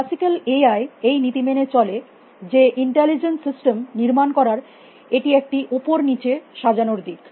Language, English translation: Bengali, Classical AI follows this principle that, it is a top down design approach to build in intelligence system